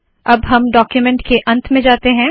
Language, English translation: Hindi, Then we go to the end of the document here